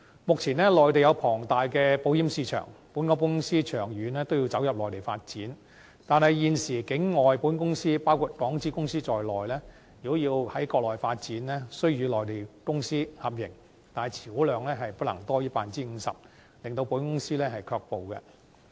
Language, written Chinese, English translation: Cantonese, 目前，內地有龐大的保險市場，本港保險公司長遠都要走入內地發展，但現時境外保險公司包括港資公司在內，如要在國內發展，須與內地公司合營，且持股量不能多於 50%， 令港資保險公司卻步。, Given the huge insurance market on the Mainland nowadays Hong Kong insurance companies need to develop the Mainland market in the long run but non - local insurance companies including Hong Kong - invested companies must establish joint ventures with Mainland companies if they intend to start up business on the Mainland and their shareholding shall not exceed 50 % thus deterring Hong Kong - invested insurance companies